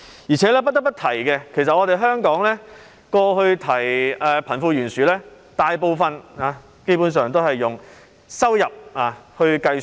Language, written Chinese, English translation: Cantonese, 而且，不得不提的是，香港過去談及貧富懸殊時，大部分情況或基本上是以收入來計算。, Moreover it must be mentioned that when we talked about the disparity between the rich and the poor in Hong Kong in the past fundamentally it is assessed by income in most cases